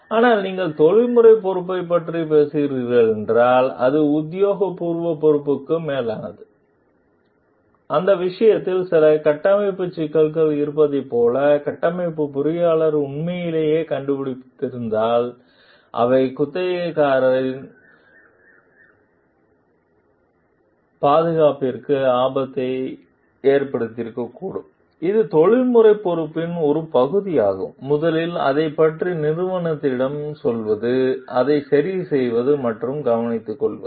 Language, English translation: Tamil, But if you are talking of the professional responsibility, it is much above the official responsibility and in that case if the structural engineer have truly discovered like there are certain structural issues which may endanger the safety of the tenant s; it is a part of the professional responsibility, to first tell the organization about it, to repair it and to take care of it